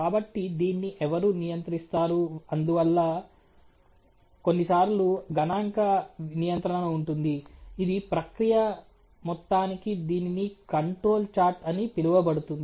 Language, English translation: Telugu, So, who will control this and therefore there is some times a statistical control which is available along the length and width of the process which is call the control charge